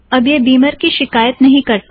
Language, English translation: Hindi, It doesnt complain about Beamer any longer